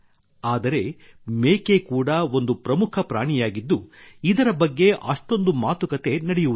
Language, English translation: Kannada, But the goat is also an important animal, which is not discussed much